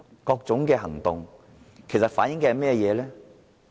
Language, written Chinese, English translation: Cantonese, 各種行動其實反映甚麼？, What was reflected in these movements?